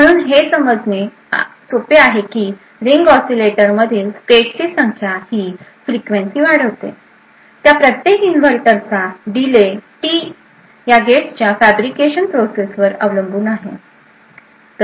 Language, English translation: Marathi, So, while it is easy to understand that n that is the number of stages in ring oscillator upends the frequency, the delay of each inverter that is t actually depends upon the fabrication process of these gates